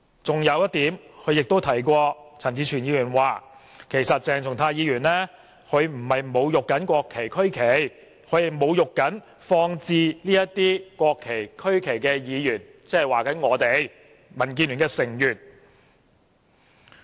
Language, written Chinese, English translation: Cantonese, 此外，陳志全議員提及，其實鄭松泰議員並不是在侮辱國旗、區旗，他只是在侮辱放置這些國旗、區旗的議員，即是我們這些民主建港協進聯盟的成員。, Moreover Mr CHAN Chi - chuen mentioned that indeed Dr CHENG Chung - tai was not insulting the national and regional flags; he was insulting those Members who had placed those national flags and regional flags ie . us members of the Democratic Alliance for the Betterment and Progress of Hong Kong DAB